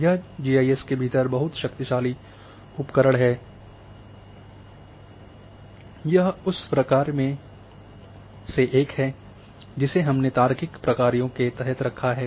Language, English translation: Hindi, This is very power full tool within GIS, this is one of that become a function which we put them in under the function of logical functions